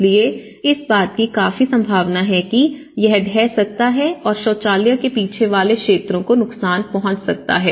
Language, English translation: Hindi, So, there is a great possibility that this may also collapse and the wash areas has been damaged behind and the toilets